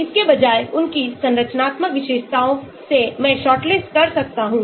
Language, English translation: Hindi, instead of that from their structural features can I shortlist